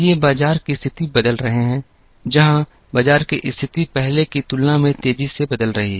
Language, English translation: Hindi, These are changing market conditions, where the market conditions seem to be changing faster than ever before